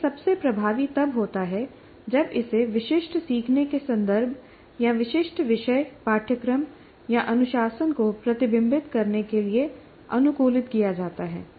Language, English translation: Hindi, It is most effective when it is adapted to reflect the specific learning context or specific topic course or discipline